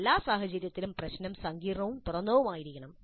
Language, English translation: Malayalam, In all cases, the problem must be complex and open ended